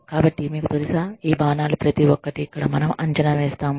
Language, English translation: Telugu, So, you know, we evaluate, each of these arrows, here